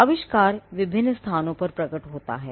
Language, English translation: Hindi, Now, invention manifest in different places